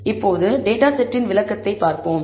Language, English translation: Tamil, Now, let us look at the summary of the data